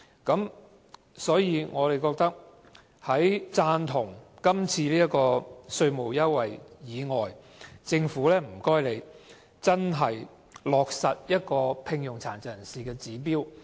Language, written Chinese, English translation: Cantonese, 因此，我們在贊同這次的稅務優惠之餘，也想請政府落實聘用殘疾人士的指標。, Thus while we support the present tax incentives we would like to call on the Government to achieve this target set for the employment of PWDs